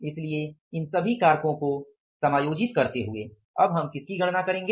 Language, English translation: Hindi, So, adjusting all these factors now we will be calculating what